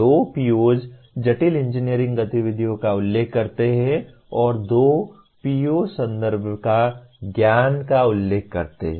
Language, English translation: Hindi, Two POs mention complex engineering activities and two POs mention contextual knowledge